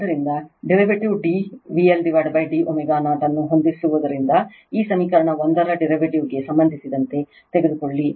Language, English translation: Kannada, So, setting the derivative d V L upon d omega 0 you take the derivative of this equation 1 with respect to omega right